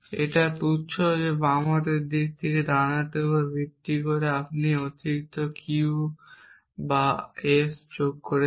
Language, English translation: Bengali, It is trivial from the left hand side to the right hand side is based on this that you are adding this extra clause Q or S